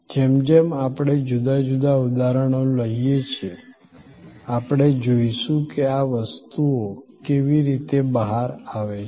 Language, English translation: Gujarati, As we take different examples, we will see how these things are play out